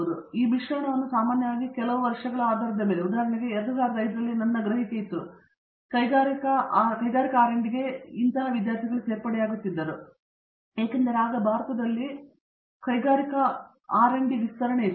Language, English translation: Kannada, So, the mix is usually all of these depending on some years for example, in 2005 period my perception was lot of them were joining industrial R and D because there was an expansion of industrial R and D in India